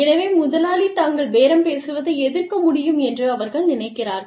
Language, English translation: Tamil, So, they feel that, the employer could oppose their bargaining